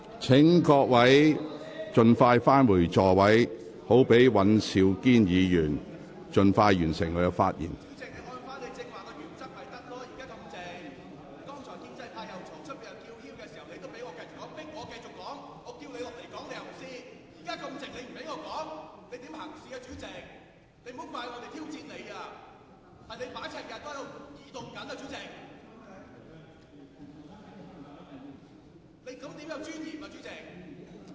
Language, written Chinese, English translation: Cantonese, 請各位議員盡快返回座位，讓尹兆堅議員盡快完成發言。, Will Members please return to their seats as soon as possible so that Mr Andrew WAN can finish his speech as soon as possible